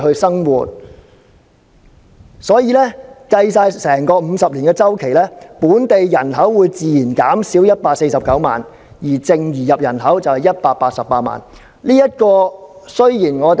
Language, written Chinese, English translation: Cantonese, 因此，在計算整個50年的周期後，本地人口會自然減少149萬，而淨移入人口是188萬。, Hence there will be a natural decrease of 1.49 million in the local population and a net inward migration of 1.88 million over the entire projection period of 50 years